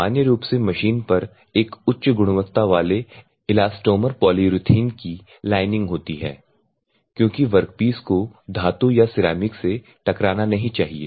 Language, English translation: Hindi, So, the polyurethane lining this is normally lined with a high quality elastomer polyethylene because if I have a particles these work pieces should not get hard by the metal or a ceramic